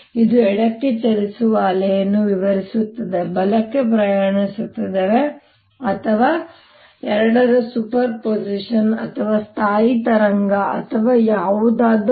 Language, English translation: Kannada, this describes a wave travelling to the left, travelling to the right, or superposition of the two, or a stationary wave, whatever